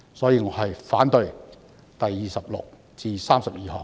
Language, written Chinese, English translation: Cantonese, 因此，我反對修正案編號26至32。, Therefore I oppose Amendment Nos . 26 to 32